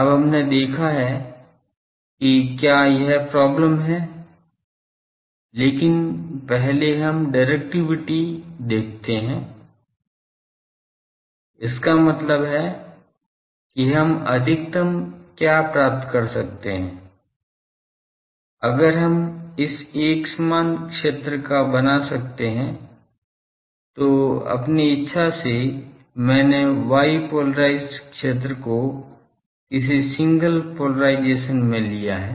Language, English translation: Hindi, Now, we have seen that it is it has got problems, but first let us see the directivity; that means, what maximum we can achieve, if we can create this uniform field let us arbitrarily I have taken y polarised field in any polarised single polarisation